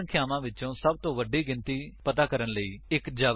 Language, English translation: Punjabi, * Write a java program to find the biggest number among the three numbers